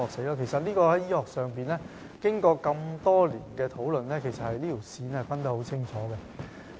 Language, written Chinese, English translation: Cantonese, 就此，醫學上已經過多年的討論，並已清楚訂明有關界線。, In this connection discussion has been held in the medical sector for many years and the boundary has been stipulated unequivocally